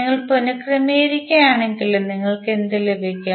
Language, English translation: Malayalam, If you rearrange what you will get